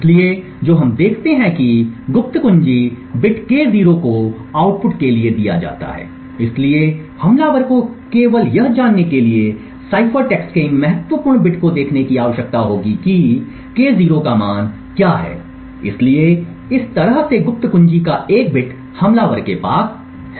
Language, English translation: Hindi, So, therefore what we see is that secret key bit K0 is then passed to the output, so the attacker would just need to look at these significant bit of cipher text to determining what the value of K0 is, so in this way the attacker has obtained one bit of the secret key